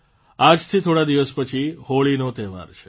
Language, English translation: Gujarati, Holi festival is just a few days from today